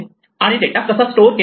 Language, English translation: Marathi, How is data stored